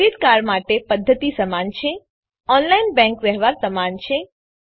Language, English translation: Gujarati, The method is similar for credit card, online bank transaction is similar